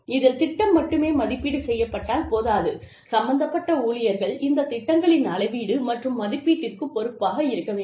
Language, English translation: Tamil, Again, not only, should the programs be evaluated, the staff involved, should be responsible for measurement and evaluation, of these programs